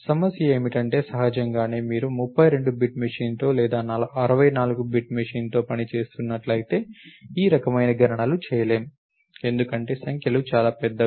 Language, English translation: Telugu, So, the problem is many of them will so; obviously, if you running with 32 bit machine or even a 64 bit machine, computations of this kind can cannot be done, because the numbers are too large